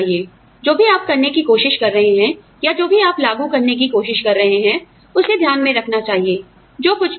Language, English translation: Hindi, You know, whatever you are trying to, or whatever you are trying to implement, should be taking into account, whatever is there